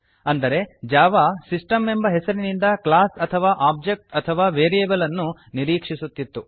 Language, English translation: Kannada, This means, Java is expecting a class or object or a variable by the name system